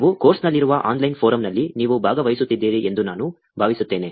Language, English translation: Kannada, I hope you are participating in the online forum that we have in the course